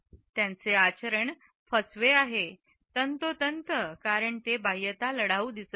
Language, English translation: Marathi, His demeanour is deceptive, precisely because it does not appear outwardly belligerent